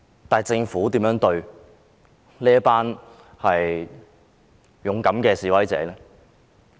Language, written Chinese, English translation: Cantonese, 但是，政府如何對待這群勇敢的示威者？, However how did the Government treat these brave protesters?